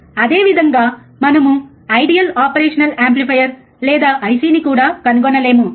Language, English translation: Telugu, Same way we cannot also find operation amplifier or IC which is ideal